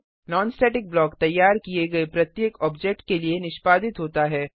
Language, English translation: Hindi, A non static block is executedfor each object that is created